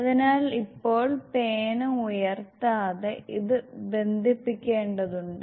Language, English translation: Malayalam, So now, without lifting the pen, we just have to connect